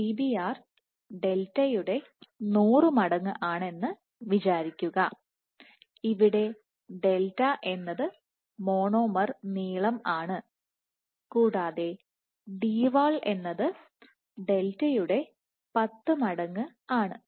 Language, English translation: Malayalam, So, let us assume Dbr as 100 times delta where delta is monomer length and Dwall is 10 delta